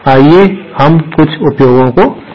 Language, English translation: Hindi, Let us see some of the uses